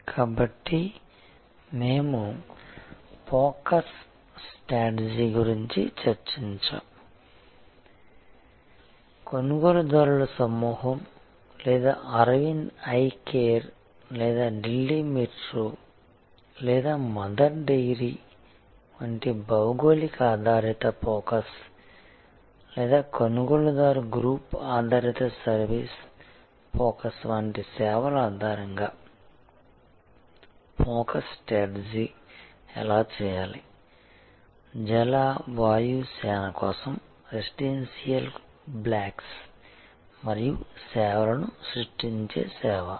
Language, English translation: Telugu, So, we discussed about the focus strategy also how the focus strategy be done on the basis of the buyer group or service offered like Arvind Eye Care or geographic based focus like Delhi Metro or Mother Dairy or a buyer group based service focus like say service for creating residential blocks and services for Jal Vayu Sena